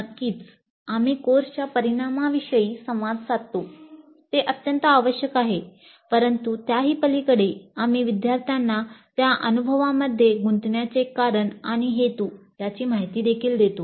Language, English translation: Marathi, So certainly we communicate course outcomes that is very essential but beyond that we also inform the learners the reason for and purpose of engaging in that experience